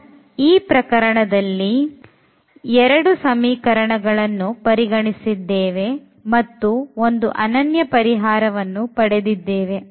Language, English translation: Kannada, So, in this particular situation when we have considered these two simple equations, we are getting unique solution